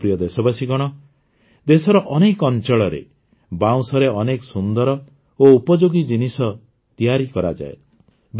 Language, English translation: Odia, My dear countrymen, many beautiful and useful things are made from bamboo in many areas of the country